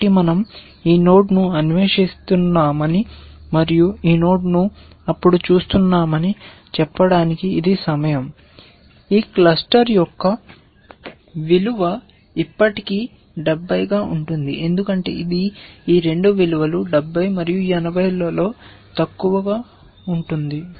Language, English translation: Telugu, So, which amounts to say that we are exploring this node, and we are looking at this node then, the value of this cluster would still be 70 because that is the lower of this two values 70 and 80